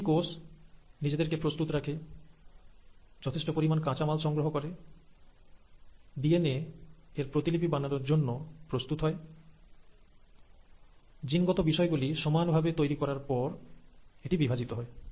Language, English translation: Bengali, So every cell prepares itself, generates enough raw material, gets ready to duplicate its DNA, having generated equal copies of its genetic material it then divides